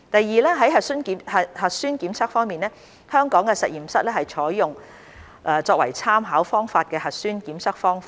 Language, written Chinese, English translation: Cantonese, 二核酸檢測方面，香港的實驗室採用作為參考方法的核酸檢測方法。, 2 On nucleic acid tests laboratories in Hong Kong are using the nucleic acid test which is adopted as the reference method